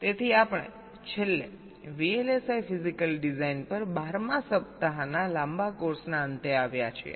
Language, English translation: Gujarati, so we have at last come to the end of this twelfth week long course on vlsi physical design